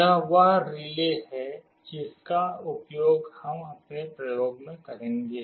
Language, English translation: Hindi, This is the relay that we shall be using in our experiment